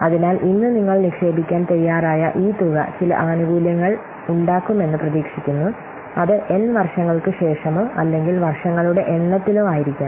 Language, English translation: Malayalam, So, this amount that we are willing to invest today for which we are expecting that some benefit will occur might be after n years or a number of years or so